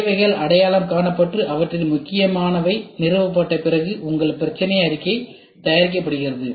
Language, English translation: Tamil, After the needs are identified and their important established your problem statement is prepared